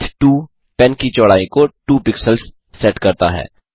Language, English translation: Hindi, penwidth 2 sets the width of the pen to 2 pixels